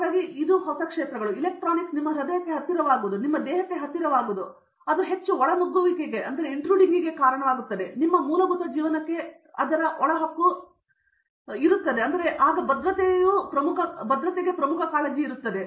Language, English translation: Kannada, So that opens, as and more your electronics become close to your heart or close to your body and it becomes more penetrations, its penetration into your basic living becomes more and more increasing security becomes a major concern